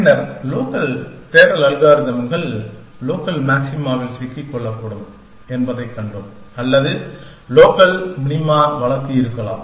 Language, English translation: Tamil, And then, we saw that local search algorithms can get stuck in local maxima, or local minimize is the case may be